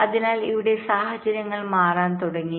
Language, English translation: Malayalam, so here the situations started to change